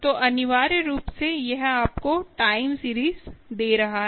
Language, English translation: Hindi, so essentially, this is telling you, giving you the time series